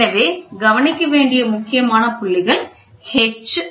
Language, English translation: Tamil, So, important points to be noted are H, d and h